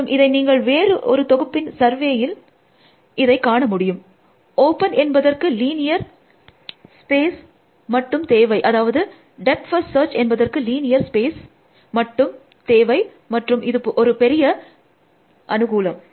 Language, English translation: Tamil, And you must have survey this in other context, open requires only linear space for, I mean depth first search requires only linear space problem and that is a big, big plus